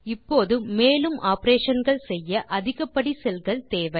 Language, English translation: Tamil, Now we perform more operations, we want more cells